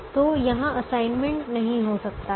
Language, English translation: Hindi, so this one, we cannot have an assignment